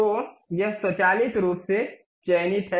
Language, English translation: Hindi, So, it is automatically selected